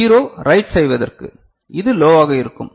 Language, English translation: Tamil, And for writing a 0 so, this will be low